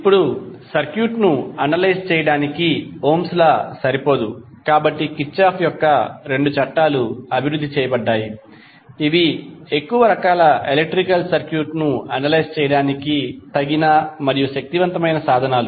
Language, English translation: Telugu, Now, the Ohm’s Law itself is not sufficient to analyze the circuit so the two laws, that is Kirchhoff’s two laws were developed which are sufficient and powerful set of tools for analyzing the large variety of electrical circuit